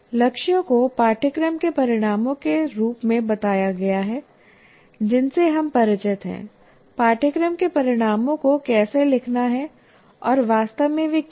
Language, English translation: Hindi, Goals are stated as course outcomes with which we are familiar, how to write course outcomes and what exactly they are